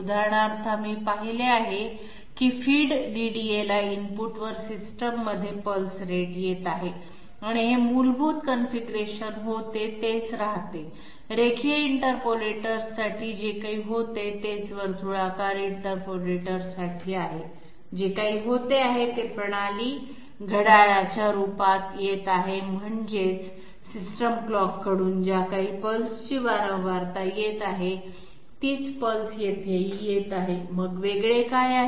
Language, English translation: Marathi, For example, we have seen that pulse rate is coming at the system at the input to the feed DDA and this was the basic configuration remains the same whatever was there for the linear interpolator, same thing is there for circular interpolators, whatever was coming in as at the system clock I mean from the system clock whatever frequency of pulses that are coming in, same pulses they are coming in here as well, so what is different